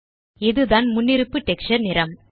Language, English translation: Tamil, This is the default texture color